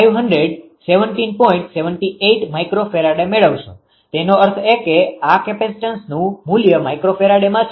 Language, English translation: Gujarati, 78 microfarad the C value ; that means, this capacitance value is two microfarad right